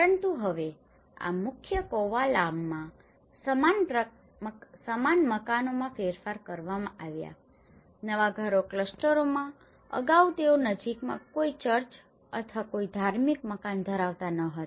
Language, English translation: Gujarati, But now, the same houses have been modified in this main Kovalam, in the new housing clusters earlier, they were not having a church or some religious building in the close proximity